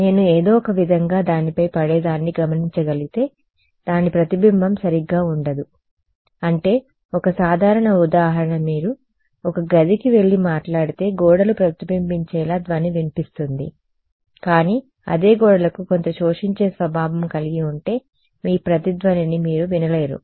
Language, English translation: Telugu, If I can somehow observe what falls on it there will be no reflection right I mean this simple example if you go to a room and you speak the walls reflect, but if the walls had some absorbing material you will not be able to hear your echo that means there is no reflection